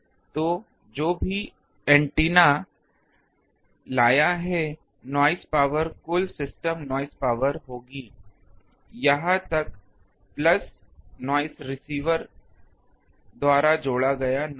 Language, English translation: Hindi, So, noise power total system noise power will be whatever antenna has brought up to here, plus the noise added by the receiver